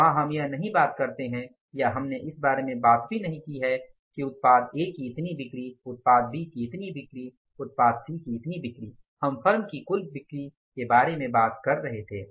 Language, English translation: Hindi, There we don't talk about or we didn't even talk about that the product A this much of the sale, product B this much of the sale, product C this much of the sale